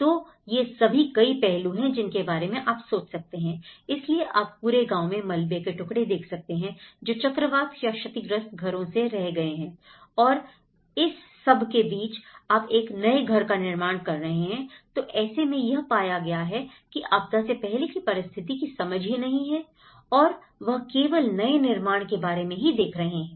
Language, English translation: Hindi, So, these are all many aspects one can think of, so what you can see in the whole village is bits and pieces of the rubble, which has been damaged by the cyclone or damaged houses in between you are building a new houses, so there is no understanding of the old part but only they are looking at what we are constructing, you know